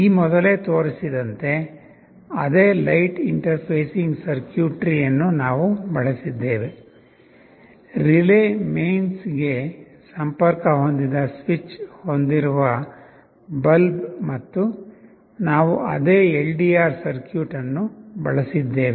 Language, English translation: Kannada, Now see we have used that same light interfacing circuitry as was shown earlier; a relay, a bulb with a switch connected to mains, and we have used the same LDR circuit